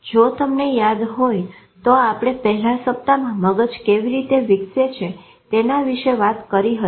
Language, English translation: Gujarati, If you remember, we talked about in the first week about how the brain develops